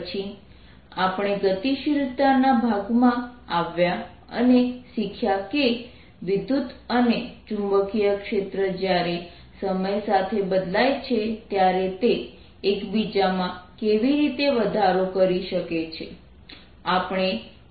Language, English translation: Gujarati, then we came to the dynamics part and you learnt how electric and magnetic fields can give raise to each other through when the change time